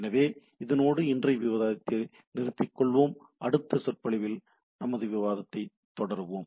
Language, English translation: Tamil, So with this, let us stop today and we will continue our discussion in subsequent lecture